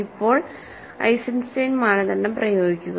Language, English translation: Malayalam, Now, apply Eisenstein criterion